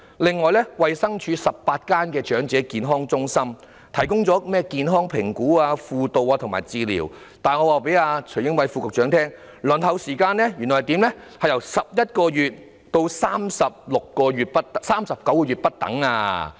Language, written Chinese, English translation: Cantonese, 此外，衞生署轄下的18間長者健康中心提供包括健康評估、輔導和治療等服務，但我告訴徐英偉副局長，原來輪候成為新會員的時間由11個月至39個月不等。, Besides the 18 Elderly Health Centres EHCs under the Department of Health provide services including health assessment counselling and medical treatment . However let me tell Under Secretary Casper TSUI that the waiting time for enrolment as a new member ranges from 11 to 39 months